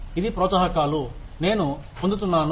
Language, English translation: Telugu, These are the incentives, I get